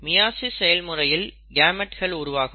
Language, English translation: Tamil, During meiosis they form gametes